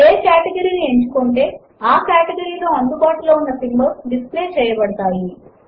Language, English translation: Telugu, Choosing any category displays the available symbols in that category